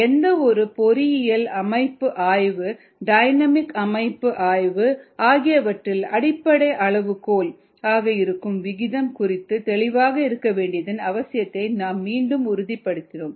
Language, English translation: Tamil, we reaffirmed the need to be clear about the concept of rate as a basic parameter in any ah engineering system analysis, dynamics, system analysis